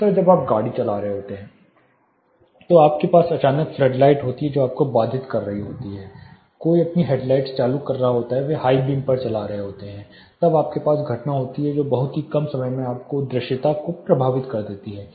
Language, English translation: Hindi, Second is when you are driving you have a sudden flood light which is interrupting you somebody is putting on their head lights they are you know putting on in a high beam, then you have phenomena which effects your visibility in a very short instance